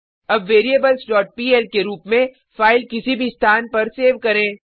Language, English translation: Hindi, Now save this file as variables.pl at any location